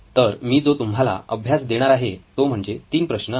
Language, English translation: Marathi, So the exercises that I am going to give are 3 problems